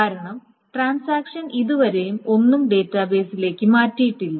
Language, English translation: Malayalam, Because the transaction has not yet changed anything into the database